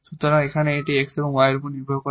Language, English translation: Bengali, So, there should not be x here